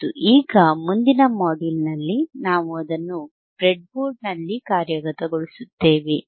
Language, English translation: Kannada, And now in the next module, we will implement it on the breadboard, alright